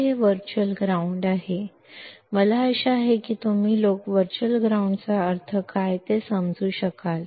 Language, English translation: Marathi, So, this is virtual ground; now I hope that you guys can understand what we mean by virtual ground